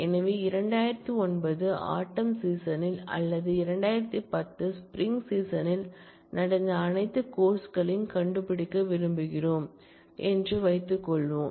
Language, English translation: Tamil, So, suppose we want to find all courses, that ran in fall 2009 or in spring 2010